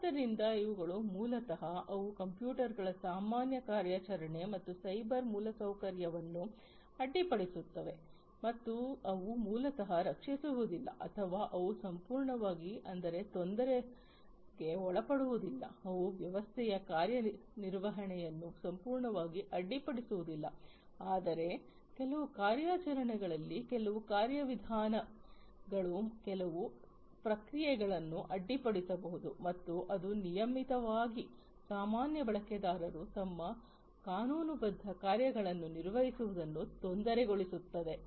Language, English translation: Kannada, So, these are the ones that basically they disrupt the normal operation of the computers and the cyber infrastructure, and they will they may or they may not basically protect or they may not disturb completely, they may not disrupt the functioning of the system completely but at certain operations, certain procedures, certain processes might be disrupted and that will basically disturb the regular user from performing their legitimate tasks